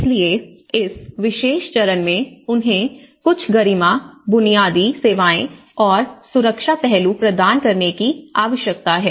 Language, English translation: Hindi, So, this particular phase they need to be served with some dignity, some basic services, some basic safety aspect